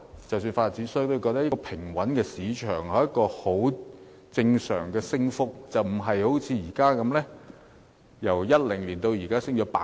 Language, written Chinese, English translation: Cantonese, 即使發展商都認為，平穩的市場應該有正常升幅，但也不應像現時的情況般。, Even property developers consider that a normal rise unlike the rise in the current situation is necessary for a stable market